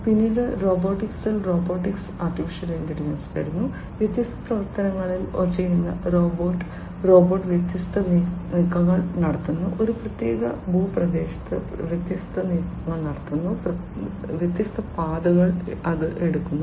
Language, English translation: Malayalam, Then comes robotics AI in robotics, you know, robot performing different actions, you know robot making different moves, in a particular terrain, performing different moves, taking different trajectories, etcetera